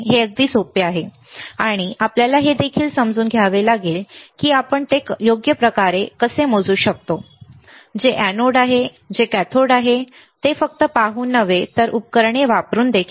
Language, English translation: Marathi, It is simple easy, but we have to also understand how we can measure right, which is anode which is cathode not just by looking at it, but also by using the equipment